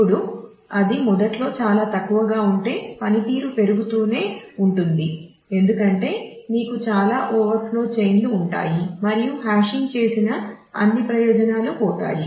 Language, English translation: Telugu, Now if it is initially too small then the file keeps on growing the performance will degrade because you will have too many overflow chains and if the all advantages of having done the hashing will get lost